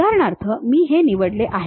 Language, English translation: Marathi, For example, this is the one what I picked